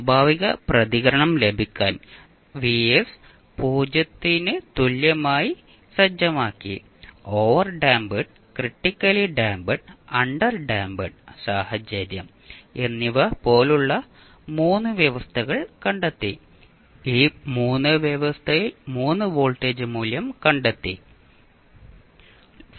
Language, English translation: Malayalam, To get the natural response we set Vs equal to 0 and we found the 3 conditions like overdamped, critically damped and underdamped situation and we got the 3 voltage value under this 3 condition